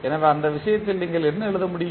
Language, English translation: Tamil, So, in that case what you can write